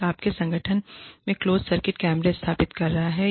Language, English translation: Hindi, One is, installing closed circuit cameras, in your organization